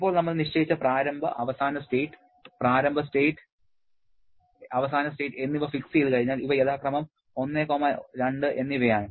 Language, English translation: Malayalam, Now, once we have fixed up the initial and final state initial, initial state and final step I have fixed, these are 1 and 2 respectively